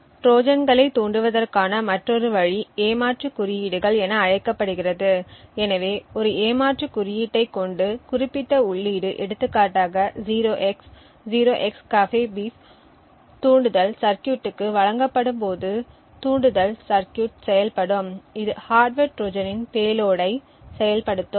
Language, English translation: Tamil, Another way to trigger Trojans is by something known as cheat codes so with a cheat code the specific input for example 0x0XCAFEBEEF when given to the trigger circuit would activate at the trigger circuit which in turn would then activate the payload of the hardware Trojan